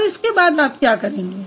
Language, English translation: Hindi, And now what you are going to do